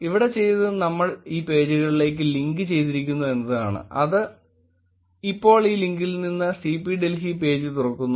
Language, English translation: Malayalam, Here what we have done is we just have linked to these pages, it just opens up the CP Delhi page for now from this link